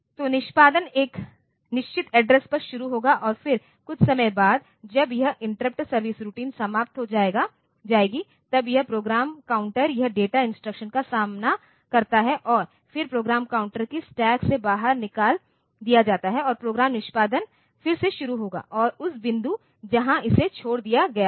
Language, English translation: Hindi, So, execution will start at a fixed address and then after some time, when this interrupt service routine is over, then this program counter this data instruction is encountered and then the program counter is popped out from the stack and the program execution will resume from the point where it was left off